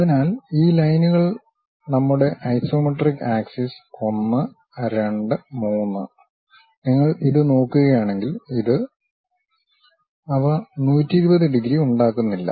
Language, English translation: Malayalam, So these lines are our isometric axis one, two, three; if you are looking this one, this one; they are not making 120 degrees